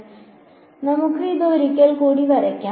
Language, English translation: Malayalam, So, let us draw this once again